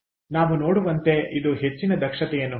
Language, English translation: Kannada, its, it is extremely high efficiency